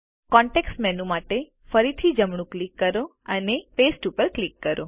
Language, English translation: Gujarati, Right click again for the context menu and click Paste